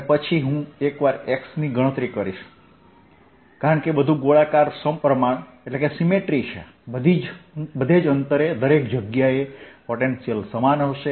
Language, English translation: Gujarati, and then if once i calculate at x, since everything is spherically symmetric everywhere around at the same distance, the potential would be the same